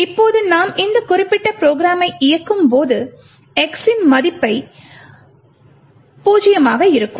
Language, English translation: Tamil, Now when we run this particular program what we see is that we obtain a value of x is zero